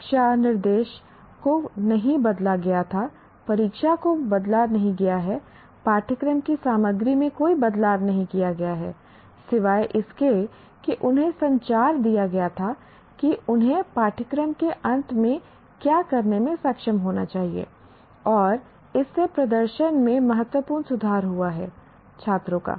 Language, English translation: Hindi, The classroom instruction was not changed, examination has not been changed, no change in the contents of the course, except they were communicated what they should be able to do at the end of a course and that itself has led to significant improvement in the performance of the students